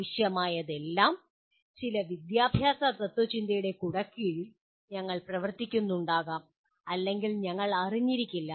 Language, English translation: Malayalam, All that is necessary is that implicitly we may be operating in under some umbrella of some education philosophy which we may or may not be aware of